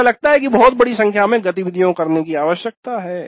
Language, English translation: Hindi, It looks like a very large number of activities need to be performed